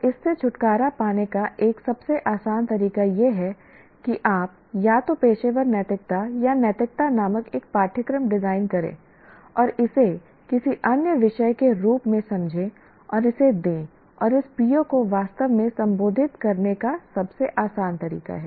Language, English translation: Hindi, So one easiest way to get rid of this is to design a course called either professional ethics or ethics and treat it as any other subject and give it and that is the easiest way to really address this PO